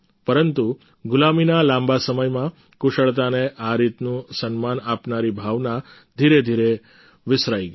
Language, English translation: Gujarati, But during the long period of slavery and subjugation, the feeling that gave such respect to skill gradually faded into oblivion